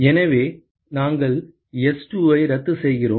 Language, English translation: Tamil, So, we cancel out S2